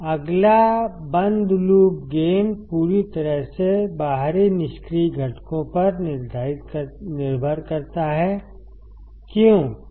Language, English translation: Hindi, Next closed loop gain depends entirely on external passive components; why